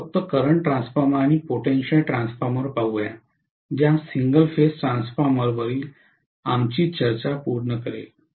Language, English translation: Marathi, Let us try to just take a quick look at current transformer and potential transformer that will complete our discussion on single phase transformers, okay